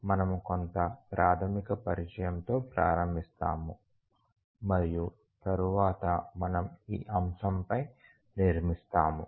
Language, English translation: Telugu, Today we will start with some basic introduction and then we will build on this topic